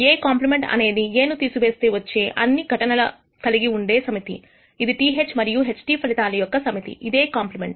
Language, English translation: Telugu, A compliment is the set of all events that exclude A which is nothing but the set of outcomes TH and TT is known as a complement